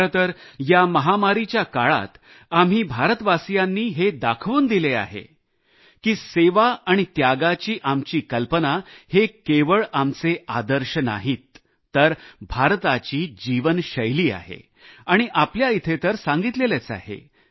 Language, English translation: Marathi, In fact, during this pandemic, we, the people of India have visibly proved that the notion of service and sacrifice is not just our ideal; it is a way of life in India